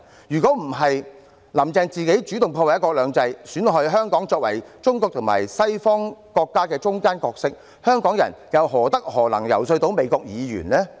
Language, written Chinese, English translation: Cantonese, 如果不是"林鄭"自己主動破壞"一國兩制"，損害香港在中國與西方國家之間的角色，香港人又何德何能，能夠遊說美國議員呢？, Without Carrie LAMs active sabotage of one country two systems and damage to the role of Hong Kong between China and Western countries how could Hongkongers be in a position to lobby United States lawmakers?